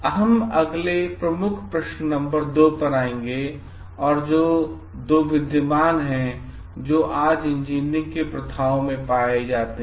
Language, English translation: Hindi, We will next come to the key question number 2 which are like what are the two key values that lie engineering practices today